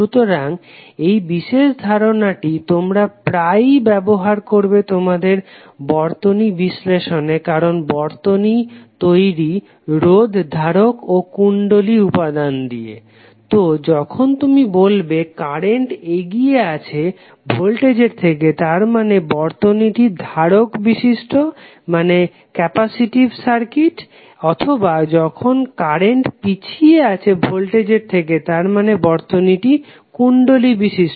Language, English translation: Bengali, So this particular aspect you will keep on using in your circuit analysis because the circuit will compose of resistor, capacitor, inductor all components would be there, so when you will say that current is leading with respect to voltage it means that the circuit is capacitive or even the current is lagging with respect to voltage you will say the circuit is inductive